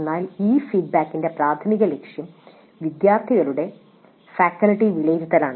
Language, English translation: Malayalam, But the primary purpose of this feedback is faculty evaluation by the students